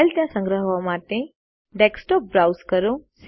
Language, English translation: Gujarati, Browse to the Desktop to save the file there